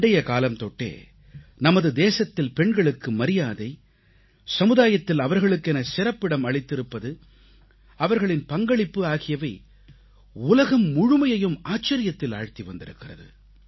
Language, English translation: Tamil, In our country, respect for women, their status in society and their contribution has proved to be awe inspiring to the entire world, since ancient times